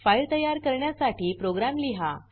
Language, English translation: Marathi, How to write data into a file